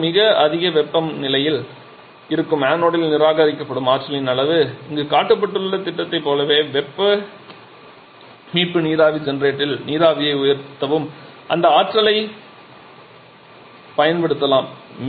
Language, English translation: Tamil, The amount of energy that is being raised that is being rejected in the anode that is in early at quite high temperature and that energy can be utilized to raise steam in a heat recovery steam generator just like the scheme shown here